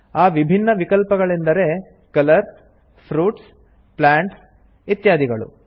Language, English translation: Kannada, The different options are names of colors, fruits, plants, and so on